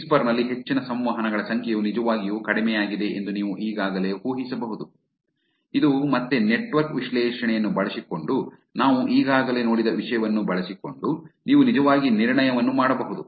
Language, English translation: Kannada, You could already guess, that the number of interactions which is higher, is actually very low in the whisper, which again using the network analysis, using the things that we have already seen, you could actually make the inference